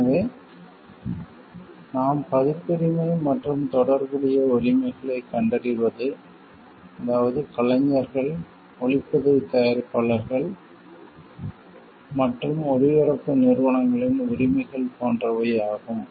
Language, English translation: Tamil, So, what we find copyrights and related rights that is the rights of performers, producers of sound recordings and broadcasting organizations